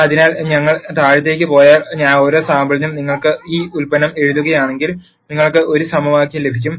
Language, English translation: Malayalam, So, if we keep going down, for every sample if you write this product, you are going to get an equation